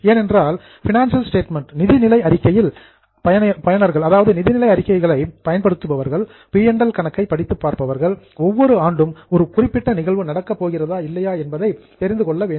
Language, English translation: Tamil, Because the users of financial statement, that is those who are reading the P&L, should know whether a particular item is going to happen every year or no